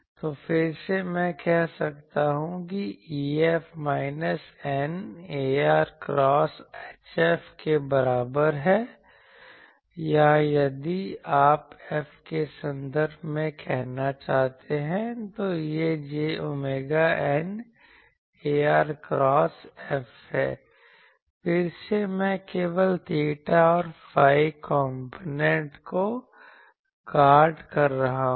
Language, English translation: Hindi, So, again I can say that E F is equal to minus eta ar cross H F or if you want to say in terms of F, it is j omega eta ar cross F again I am getting the guard the theta and phi components only